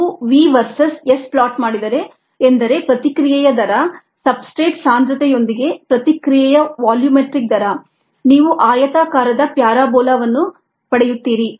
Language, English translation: Kannada, if you plot v verses s, the rate of the reaction, the volumetric rate of the reaction by ah, with ah, the substrate concentration, you get ah rectangular parabola